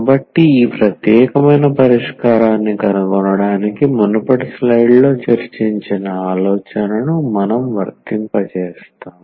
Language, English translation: Telugu, So, to find this particular solution, we will apply the idea which is discussed in the previous slide